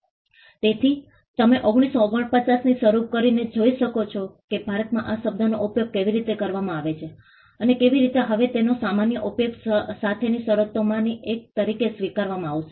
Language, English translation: Gujarati, So, you can see starting from 1949 onwards how till 2016 how the term has been used in India, and how it has now been accepted as one of one of the terms with common use